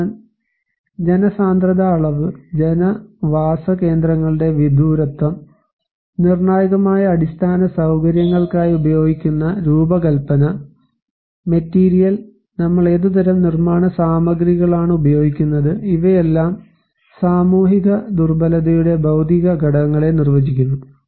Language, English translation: Malayalam, And so, population density levels, remoteness of the settlements, design and material used for critical infrastructures, what kind of building materials we are using so, these all define the physical factors of social vulnerability